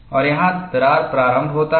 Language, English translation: Hindi, And here crack initiation takes place